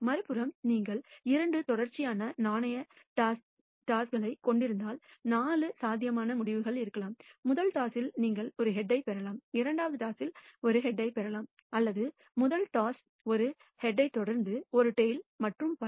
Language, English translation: Tamil, On the other hand if you are having two successive coin tosses, then there can be 4 possible outcomes either you might get a head in the first toss followed by a head in the second toss or a head in the first toss followed by a tail and so on